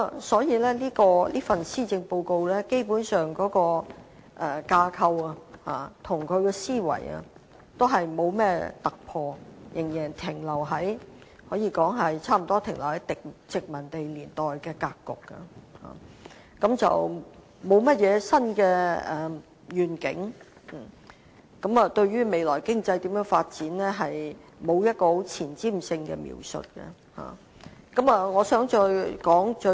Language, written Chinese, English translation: Cantonese, 所以，這份預算案的架構和思維，基本上也是沒有突破，更可以說是仍然停留在殖民地年代格局，沒有甚麼新願景，對於未來經濟發展也沒有前瞻性的描述。, For that reason basically there is no breakthrough in both the structure and thinking of the Budget . It can be said that it is still very much a colonial budget in form with no new vision and no forward - looking depiction of the economic development in the future